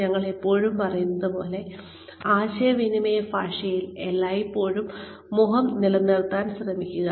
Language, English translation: Malayalam, Always, like we say, in communication parlance always, try and maintain face